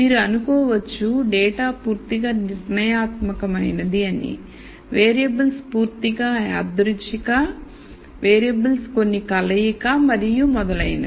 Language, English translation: Telugu, You could assume the data is completely deterministic, variables are completely stochastic, variables are some combination and so on